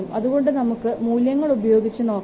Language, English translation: Malayalam, So let's put the value